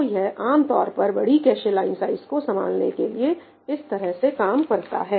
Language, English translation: Hindi, That is the way typically this works, the larger cache line sizes are handled